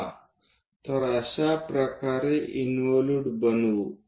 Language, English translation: Marathi, So, let us construct such in involute